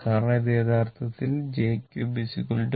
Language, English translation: Malayalam, Because this one actually j square into j